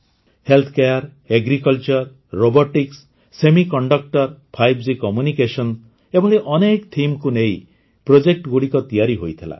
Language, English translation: Odia, Healthcare, Agriculture, Robotics, Semiconductors, 5G Communications, these projects were made on many such themes